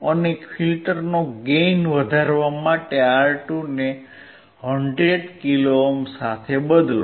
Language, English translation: Gujarati, And to increase the gain of filter replace R2 with 100 kilo ohm